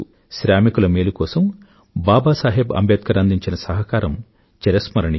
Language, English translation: Telugu, One can never forget the contribution of Babasaheb towards the welfare of the working class